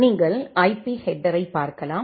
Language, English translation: Tamil, Then you can look into the IP header